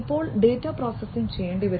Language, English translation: Malayalam, Then the data will have to be processed